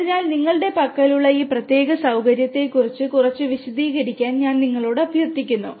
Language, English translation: Malayalam, So, I would request you to talk about little bit you know explain about this particular facility that you have